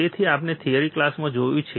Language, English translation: Gujarati, So, we have seen in the theory class